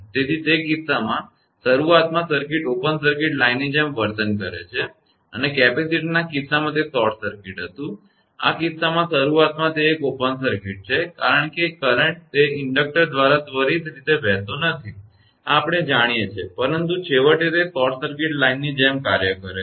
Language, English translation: Gujarati, So, in that case the circuit behaves like an open circuit line initially right and in the case of capacitor it was short circuit, in this case it is initially open circuit since a current cannot flow through the inductor instantaneously this we know, but finally, acts like a short circuited line